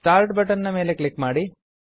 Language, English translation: Kannada, Click on the start button